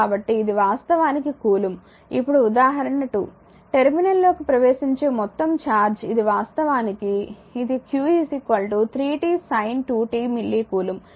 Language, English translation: Telugu, So, this is actually coulomb now example 2; the total charge entering a terminal is this is actually this is actually page number 17 given by q is equal to say 3 t sin 2 pi t say milli coulomb right